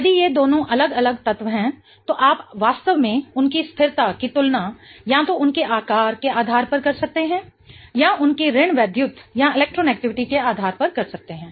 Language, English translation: Hindi, If these two are different elements then you can really compare their stability based on either their size or based on their electronegativity